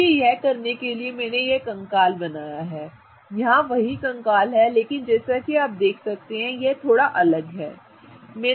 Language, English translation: Hindi, So, in order to do that I have drawn the skeleton, the same skeleton here but as you can see this skeleton is a little different